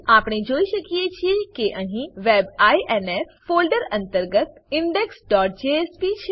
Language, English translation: Gujarati, We can see that under the WEB INF folder there is index.jsp